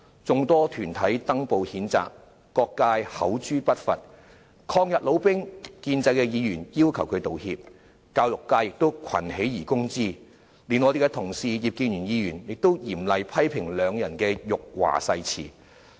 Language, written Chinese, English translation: Cantonese, 眾多團體登報譴責，各界口誅筆伐，抗日老兵、建制議員要求他們道歉，教育界亦群起而攻之，連我們的同事葉建源議員都嚴厲批評兩人的辱華誓詞。, Quite a number of groups had published statements on newspapers to condemn them; various sectors had expressed criticisms verbally and in writing; anti - Japanese war veterans and pro - establishment Members demanded an apology from them; the education sector jointly attacked them and even our colleague Mr IP Kin - yuen had sternly criticized the oath of the duo for insulting China